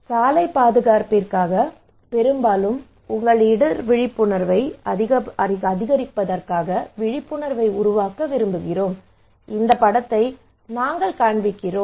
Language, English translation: Tamil, When we are, you can see that for the road safety often we want to make in order to increase your risk awareness we show this picture right